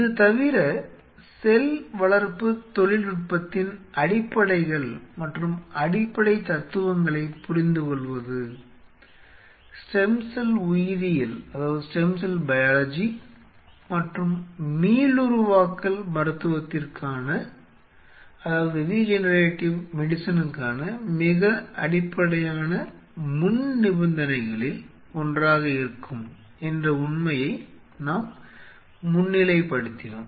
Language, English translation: Tamil, Apart from it we highlighted the fact that understanding the fundamentals of cell culture technology and the basic philosophies will be one of the very basic prerequisites for stem cell biology and regenerative medicine